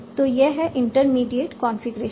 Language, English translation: Hindi, Now this is my intermediate configuration